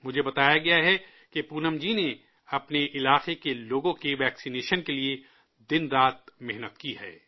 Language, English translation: Urdu, I am given to understand that Poonam ji has persevered day and night for the vaccination of people in her area